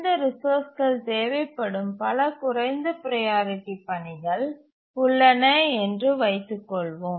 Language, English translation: Tamil, Now let's assume that there are several lower priority tasks which need these resources